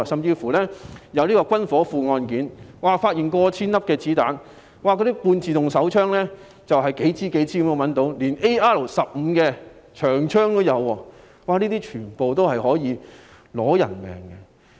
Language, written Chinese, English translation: Cantonese, 警方甚至發現軍火庫，搜出過千發子彈及多支半自動手槍，甚至 AR-15 自動步槍，這些全部可以奪人性命。, The Police have even discovered a weapon warehouse and seized over a thousand bullets and a number of semi - automatic pistols including even AR - 15 semi - automatic rifles all of which can take lives